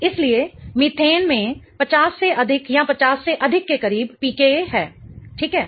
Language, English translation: Hindi, So, methane has a PCA close to 50 or more than 50